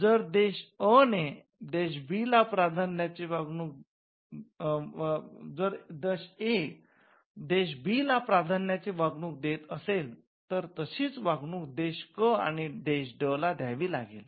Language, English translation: Marathi, If country A offers a preferential treatment to country B then that treatment has to be extended to country C or country D as well